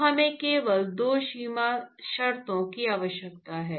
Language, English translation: Hindi, So, we really need only 2 boundary conditions